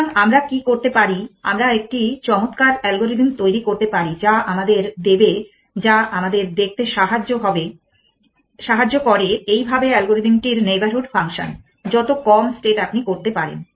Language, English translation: Bengali, So, what do we do can we device the nice algorithm which will give us which allow us to see thus parcel the algorithm the neighborhood function the lesser the state you can